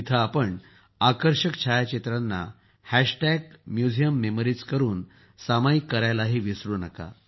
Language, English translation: Marathi, Don't forget to share the attractive pictures taken there on Hashtag Museum Memories